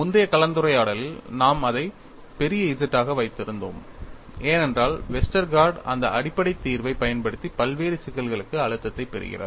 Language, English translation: Tamil, In the earlier discussion, we had kept it as capital Z, because Westergaard used that basic solution to get the stress field for a variety of problems